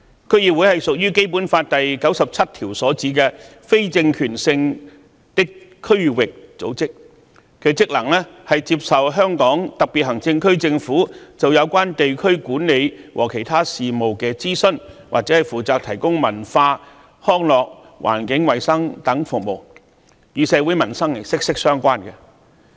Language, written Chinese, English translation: Cantonese, 區議會屬於《基本法》第九十七條所指的非政權性的區域組織，其職能是接受香港特別行政區政府就有關地區管理和其他事務的諮詢，或負責提供文化、康樂、環境衞生等服務，與社會民生息息相關。, DC is a district organization which is not an organ of political power as pointed out in Article 97 of the Basic Law and it has the functions of being consulted by the Government of the Hong Kong Special Administrative Region on district administration and other affairs or being responsible for providing services in such fields as culture recreation and environmental sanitation which are closely related to the peoples livelihood